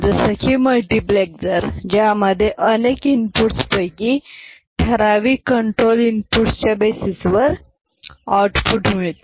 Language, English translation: Marathi, Like multiplexer, which steers one of the many inputs to the output based on certain control inputs